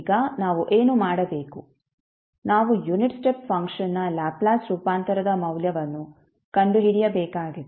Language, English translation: Kannada, Now, what we have to do we have to find out the value of the Laplace transform of unit step function